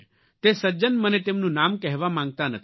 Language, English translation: Gujarati, The gentleman does not wish to reveal his name